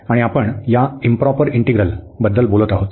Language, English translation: Marathi, And we will be talking about this improper integrals